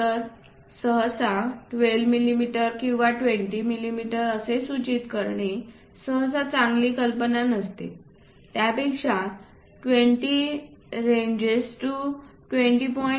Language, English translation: Marathi, So, 12 mm or 20 mm usually is not a good idea to indicate, its always good to mention 20 ranges to 20